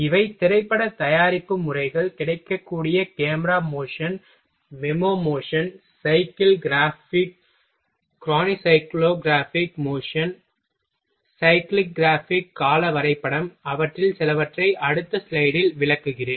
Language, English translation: Tamil, These are the film production methods are available macro motion, memo motion cyclegraphic chronocyclegraphic macro motion is the slowing slow recording of an operation, cyclegraph chronograph I will explain some of them in next slide